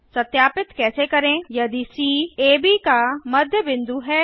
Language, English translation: Hindi, How to verify C is the midpoint of AB